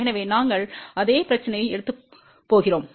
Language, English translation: Tamil, So, we are going to take the same problem